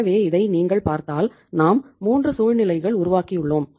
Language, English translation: Tamil, So if you see the this these 3 situations we have created